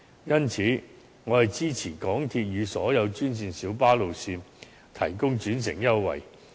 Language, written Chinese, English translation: Cantonese, 因此，我支持港鐵與所有專線小巴路線提供轉乘優惠。, Therefore I support the provision of interchange concessions for MTR and all green minibus routes